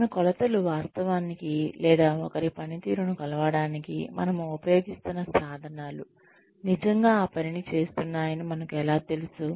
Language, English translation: Telugu, How do we know that, our measurements are actually, or the tools we are using to measure somebody